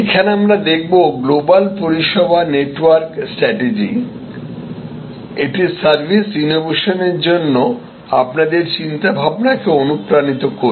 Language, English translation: Bengali, So, here we look at the global service network strategy, this is to inspire your thinking for service innovation